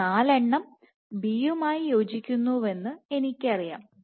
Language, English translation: Malayalam, I know that these 4 correspond to B